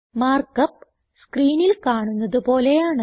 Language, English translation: Malayalam, And the mark up looks like as shown on the screen